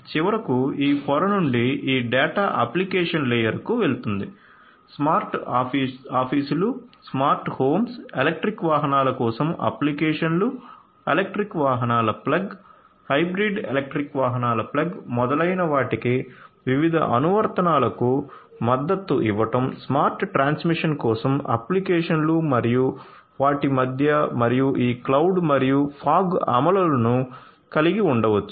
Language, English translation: Telugu, And finally, this data from this layer is going to get to the application layer; application layer, supporting different applications for smart offices, smart homes, applications for electric vehicles, plug in electric vehicles, plug in hybrid electric vehicles, etcetera, applications for smart transmission and so on and in between we can have this cloud and fog implementations